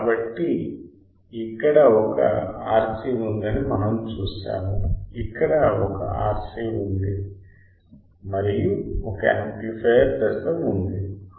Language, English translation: Telugu, So, we see there is one RC here there is one RC over here and there is a amplifier stage correct